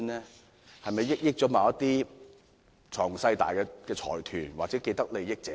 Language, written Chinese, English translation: Cantonese, 是否惠及某些財雄勢大的財團或既得利益者呢？, Is he trying to benefit huge consortia or people with vested interests?